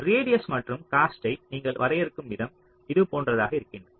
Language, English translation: Tamil, the way you define the radius and cost is like this